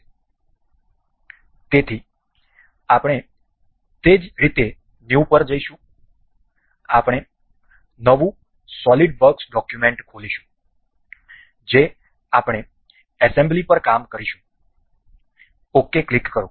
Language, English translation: Gujarati, So, we will go by new in the same way we will open a new solidworks document that is we will work on assembly, click ok